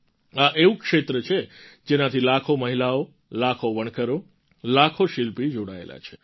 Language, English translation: Gujarati, This is a sector that comprises lakhs of women, weavers and craftsmen